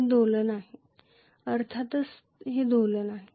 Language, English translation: Marathi, It is oscillation, of course it is oscillation